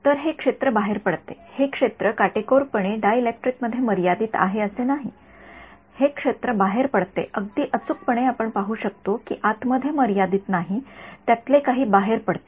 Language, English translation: Marathi, So, the field does leak out it is not the case that the field is strictly confined within the dielectric the field does leak out exact we will see it is not confined purely inside some of it does leak out